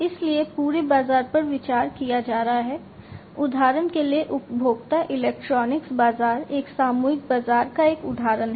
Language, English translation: Hindi, So, the whole market that is going to be considered, for example the consumer electronics market is an example of a mass market